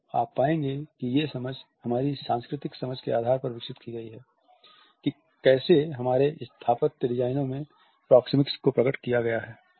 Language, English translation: Hindi, So, you would find that these understandings are developed on the basis of our cultural understanding of how proxemics is to be unfolded in our architectural designs